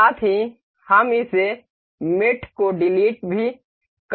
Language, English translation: Hindi, Also we can delete this mate as delete